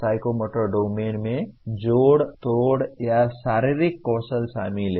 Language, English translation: Hindi, The psychomotor domain involves with manipulative or physical skills